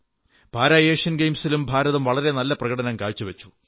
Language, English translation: Malayalam, India also performed very well in the Para Asian Games too